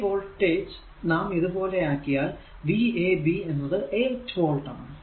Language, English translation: Malayalam, So, this voltage actually if we make like this the v a b is equal to say 8 volt right